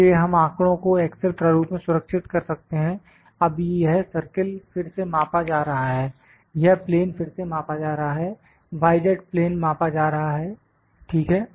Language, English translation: Hindi, So, we can save the data in excel format now this circle is again measured, this plane is now, this plane is again measured, the y z plane the y z plane is measured, ok